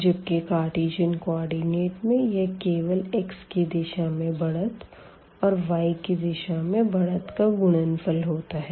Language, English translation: Hindi, While in the Cartesian coordinate, it was simply the product of the increments we have made in the direction of x and in the direction of y